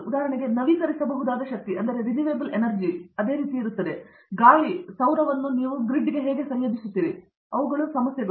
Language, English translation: Kannada, Same way in renewable power for example, wind solar how you integrate it to the grid, those are issues